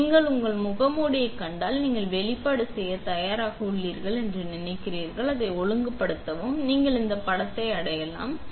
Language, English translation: Tamil, So, when you find your mask and you think you are ready to do the exposure and align it, you would grab this image